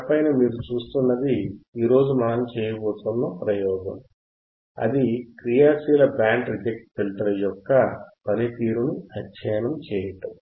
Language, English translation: Telugu, So, if you quickly go to the screen for a second, you will see that the experiment is to study the working of active band reject filter active band reject filter